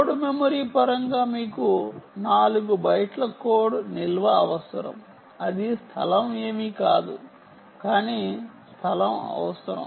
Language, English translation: Telugu, ok, in terms of code memory, code memory you need four bytes of code storage